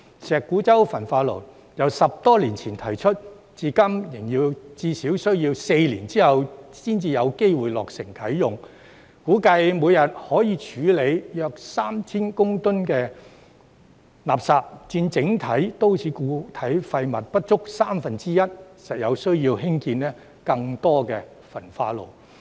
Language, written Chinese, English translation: Cantonese, 石鼓洲焚化爐由10多年前提出，至今仍要至少4年後才有機會落成啟用，估計每天可以處理約 3,000 公噸垃圾，佔整體都市固體廢物不足三分之一，實有需要興建更多焚化爐。, The Shek Kwu Chau incinerator was proposed more than 10 years ago and there are still at least four years to go before it is ready for operation . It is expected to handle about 3 000 tonnes of waste per day which accounts for less than one - third of the total amount of MSW and it is necessary to build more incinerators